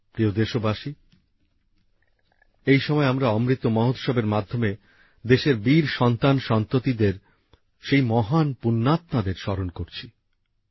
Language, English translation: Bengali, during this period of Amrit Mahotsav, we are remembering the brave sons and daughters of the country, those great and virtuous souls